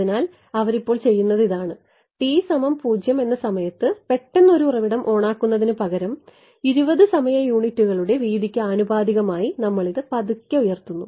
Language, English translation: Malayalam, So, what they are doing now is they are this instead of turning a source on suddenly at t is equal to 0, we ramp it slowly over a time proportional to the width of 20 time units